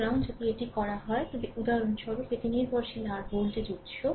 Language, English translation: Bengali, So, if you if you do so, this is for example, this is dependent your voltage source